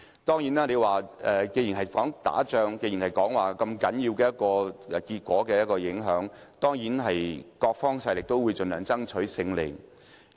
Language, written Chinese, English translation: Cantonese, 既然我將選舉比喻為打仗，又說結果有如此大影響，各方勢力定會盡量爭取勝利。, Otherwise everything would be in vain . As I said elections are like wars and they have high stakes . That is why different factions of power will stop at nothing to win